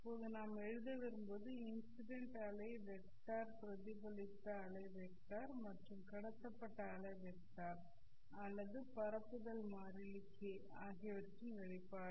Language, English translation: Tamil, Now what we want to write down is the expression for the incident wave vector, the reflected wave vector and the transmitted wave vector or the propagation constant k